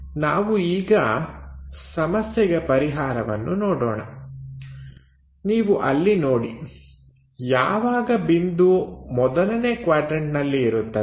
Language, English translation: Kannada, Let us look at the solution you see there, when point is in the first quadrant